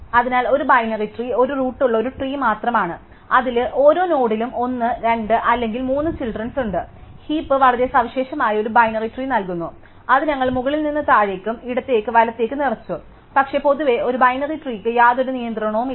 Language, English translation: Malayalam, So, a binary tree is just a tree with a root in which every node has either 1, 2 or 3 children, the heap poses a very special kind of binary tree, which we filled up top to bottom left to right, but in general a binary tree has no constraint